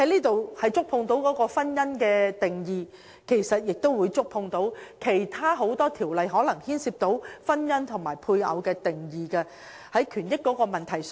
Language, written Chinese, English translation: Cantonese, 《條例草案》涉及婚姻的定義，因而亦觸及其他眾多條例中涉及婚姻和配偶的定義，也關乎權益的問題。, As the Bill involves the definition of marriage it will thus also have to do with the definitions of marriage and of spouse in numerous other ordinances and the rights and interests involved